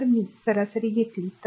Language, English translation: Marathi, So, if you take the average